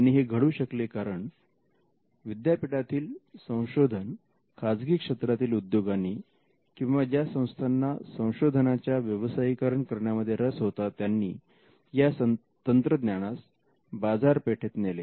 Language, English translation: Marathi, Now, most of the time this happened because the university research was taken by a private player corporation or an institution which was insisted in commercializing it and took the technology to the market